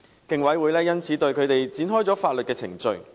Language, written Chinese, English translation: Cantonese, 競委會因此對他們展開法律程序。, The Commission therefore commenced legal proceedings against them